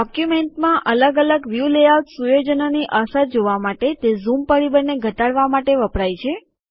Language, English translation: Gujarati, It is used to reduce the zoom factor to see the effects of different view layout settings in the document